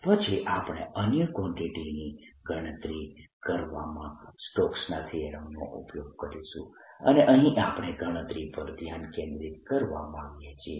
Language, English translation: Gujarati, we'll, off course, be making use of stokes theorem later in calculating other quantities, and here we want to focus strictly on calculating